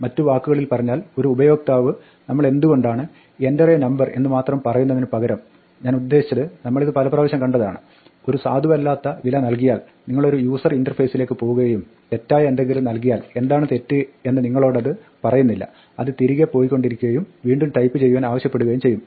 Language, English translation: Malayalam, In other words if the user does not present a valid value instead of telling them why we just keep saying enter a number I mean we have seen this any number of times right, you go to some user interface and you type something wrong it does not tell you what is wrong it just keeps going back and back and back and asking to type again